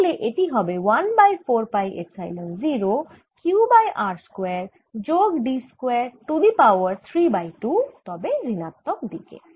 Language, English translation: Bengali, one over four pi epsilon zero, q d over r square plus d square and therefore now this two epsilon zero cancels with this